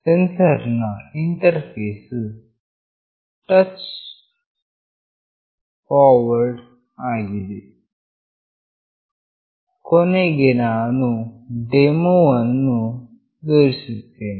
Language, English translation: Kannada, The sensor interface is straightforward Finally, I will demonstrate